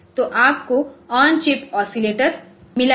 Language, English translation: Hindi, So, you have got on chip oscillator